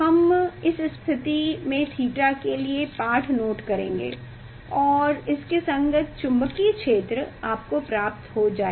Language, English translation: Hindi, we will note down this for that this theta, so corresponding magnetic field you will get